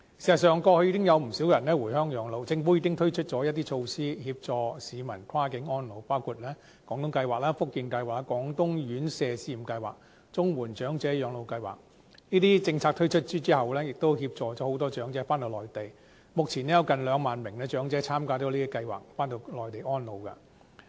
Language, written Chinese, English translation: Cantonese, 事實上，過去已經有不少人回鄉養老，政府已經推出措施協助市民跨境安老，包括廣東計劃、福建計劃、廣東院舍住宿照顧服務試驗計劃及綜援長者廣東及福建省養老計劃，這些政策推出後，協助了很多長者返回內地，目前有近兩萬名長者參加這些計劃，回內地安老。, So far a large number of elderly persons have settled on the Mainland after retirement . The Government has also launched a number of initiatives in support of cross - boundary elderly care . With the aids of such schemes as the Guangdong Scheme the Fujian Scheme the Pilot Residential Care Services Scheme in Guangdong and the Portable Comprehensive Social Security Assistance Scheme many elderly persons have been able to reside on the Mainland after retirement